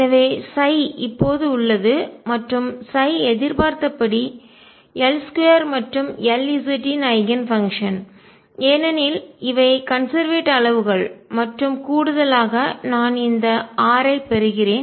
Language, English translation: Tamil, So, psi is also now psi is and Eigen function of L square and L z as is expected, because these are conserved quantities and in addition I get this r